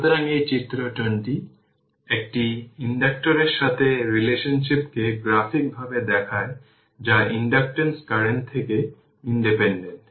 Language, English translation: Bengali, So, this figure 20 shows the relationship graphically for an inductor whose inductance is independent of the current